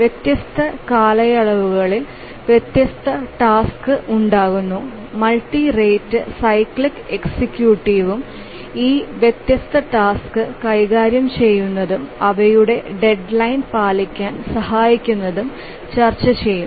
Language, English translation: Malayalam, different tasks arise with different periods and we will discuss about the multi rate cyclic executive and how does it handle these different types of tasks and help to meet their deadline